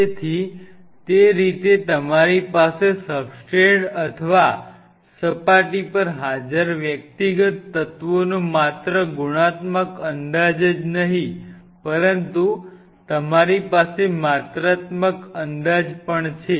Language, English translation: Gujarati, So, that way you not only have a qualitative estimate you also have a quantitative estimate of individual elements present on the substrate or surface